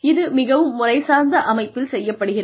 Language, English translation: Tamil, And, this is done very systematically